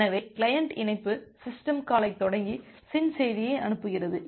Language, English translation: Tamil, So, the client initiate the connect system call and sends the SYN message